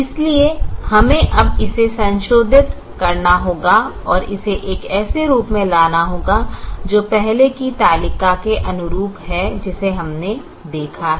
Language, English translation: Hindi, so we now have to modify this and bring it to a form which is consistent with the earlier table that we have seen